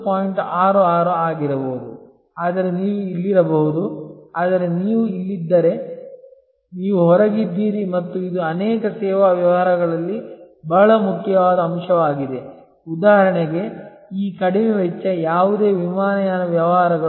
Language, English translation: Kannada, 66 then maybe you can be here, but if you are here then you are out and that is a very important point in many service businesses like for example, this low cost, no frills airlines business